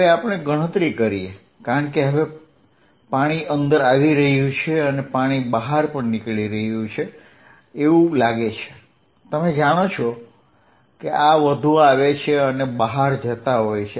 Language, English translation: Gujarati, Let us calculate, because now water coming in and water going out it looks like, you know this is more coming in and going out